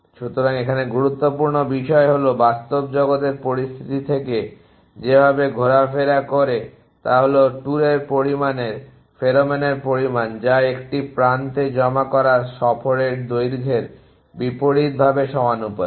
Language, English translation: Bengali, So, the important thing here the way the this dapples from the real world situation is at the amount of tour amount of pheromone that an deposits on an edge is inversely proportional to length of the tour